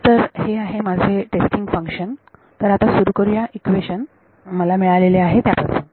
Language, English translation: Marathi, So, this is my testing function let us start with the equation that I get